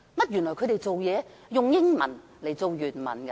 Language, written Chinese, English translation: Cantonese, 原來，他們是以英文為原文的。, It turns out that the English version is regarded as the original